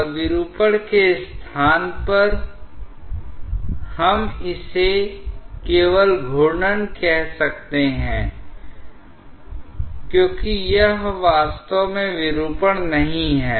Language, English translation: Hindi, And in place of deformation, we can just call it rotation because it is not actually a deformation